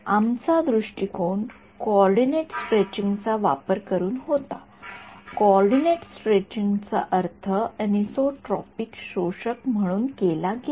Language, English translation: Marathi, Our approach was by using coordinate stretching; coordinate stretching was interpreted as a anisotropic absorber ok